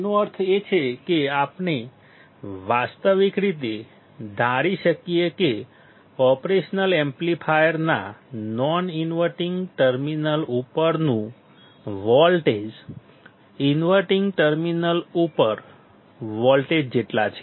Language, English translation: Gujarati, That means, that we can realistically assume that the voltage at the non inverting terminal of the operational amplifier is equal to the voltage at the inverting terminal